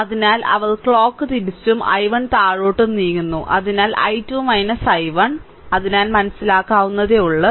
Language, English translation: Malayalam, So, they are moving clock wise and i 1 downwards; i 1 downwards; so, i 2 minus i 1; so, understandable